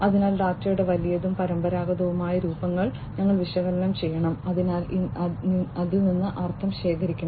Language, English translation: Malayalam, So, we have to analyze the big and the traditional forms of data, and you know, try to gather meaning out of it